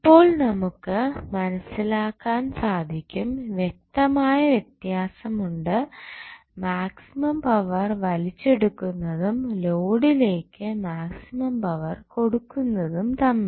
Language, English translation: Malayalam, So, you can now understand that there is a distinct difference between drawing maximum power and delivering maximum power to the load